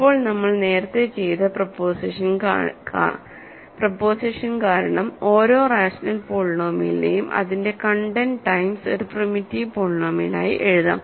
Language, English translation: Malayalam, Now, because of the proposition that we did earlier, every rational polynomial can be written as its content times, content times a primitive polynomial